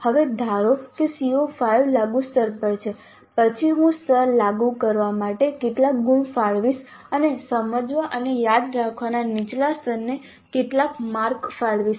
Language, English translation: Gujarati, Then how many marks do I allocate to apply level and how many marks do I allocate to apply level and how many marks do I allocate to lower levels of understand and remember